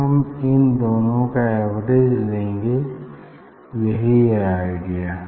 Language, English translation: Hindi, And then I will take the average of this